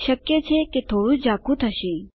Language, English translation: Gujarati, It may possibly be a little blurred